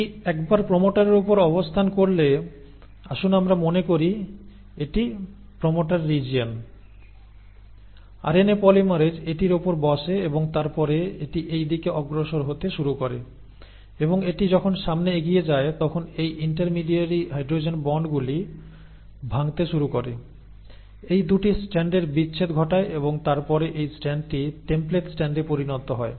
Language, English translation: Bengali, Once it sits on the promoter, so let us say this was the promoter region, right, the RNA polymerase sits on it and then it starts moving in that direction, and as it moves along it starts breaking these intermediary hydrogen bonds, causes the separation of these 2 strands and then this strand becomes the template strand